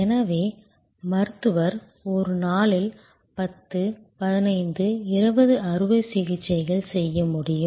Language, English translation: Tamil, So, Doctor utmost could do may be 10, 15, 20 operations in a day